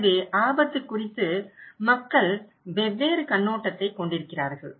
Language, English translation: Tamil, So, this is how people have different perspective about the risk